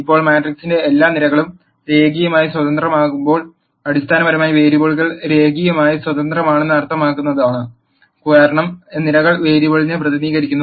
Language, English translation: Malayalam, Now when all the columns of the matrix are linearly independent that basi cally means the variables are linearly independent, because columns represent variable